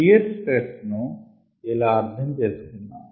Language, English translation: Telugu, let us understand shear stress this way